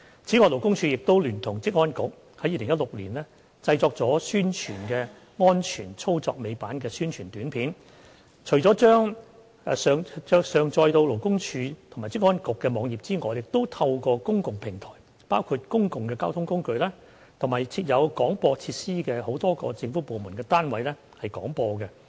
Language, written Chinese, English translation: Cantonese, 此外，勞工處聯同職業安全健康局在2016年製作了宣傳安全操作尾板的宣傳短片，除將其上載到勞工處及職安局的網頁外，亦透過公共平台，包括公共交通工具，以及設有廣播設施的多個政府部門單位廣播。, LD in collaboration with Occupational Safety and Health Council OSHC produced a promotional video on the safety of tail lift operation in 2016 . In addition to uploading the video to the web page of LD and OSHC LD has broadcasted the video through public platforms such as public transport and government locations equipped with broadcasting facilities